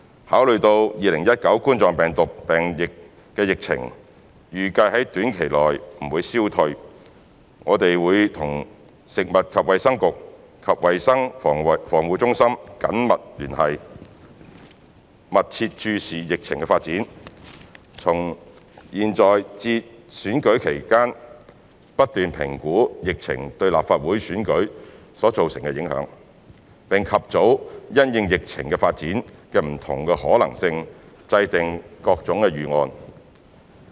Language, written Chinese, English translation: Cantonese, 考慮到2019冠狀病毒病疫情預計在短期內不會消退，我們會與食物及衞生局及衞生防護中心緊密聯絡，密切注視疫情的發展，從現在至選舉舉行期間不斷評估疫情對立法會選舉所造成的影響，並及早因應疫情發展的不同可能性，制訂各種預案。, Considering that COVID - 19 epidemic is not expected to fade away in the near future we will closely keep in touch with the Food and Health Bureau and the Centre for Health Protection to carefully monitor the development of the outbreak in assessing the impact of the epidemic on the Legislative Council General Election from now until the polling date and formulate various plans in view of the different possibilities concerning the development of the epidemic in a timely manner